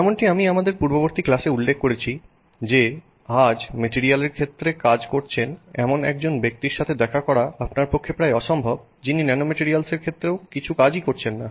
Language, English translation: Bengali, As I mentioned in our previous class today it is almost impossible for you to meet a person who is working in the area of materials who is also not doing some work in the area of nanomaterials